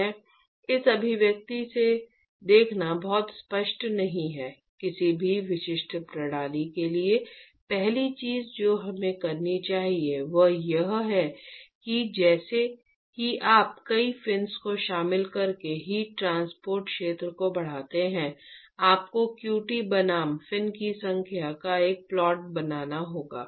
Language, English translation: Hindi, It is not very obvious to see from this expression, for any specific system the first thing we should do is as you increase the heat transfer area by including multiple fins you will have to make a plot of qt versus the number of fins